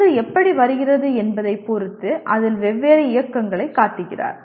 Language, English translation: Tamil, He shows different movements in that depending on how the ball is coming